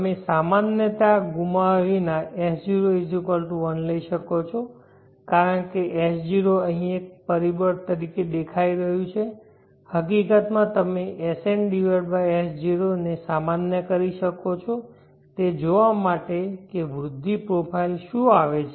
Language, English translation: Gujarati, You can take S0=1 without loss of generality because S0 is appearing here as a factor every in fact you can normalize SN/S0 to see what is the growth profile that comes